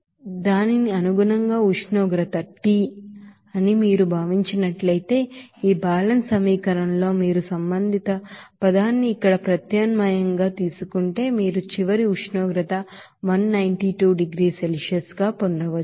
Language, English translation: Telugu, So accordingly if you consider that temperature is T then if you substitute that respective term here in this balance equation, you can get the final temperature of 192 degrees Celsius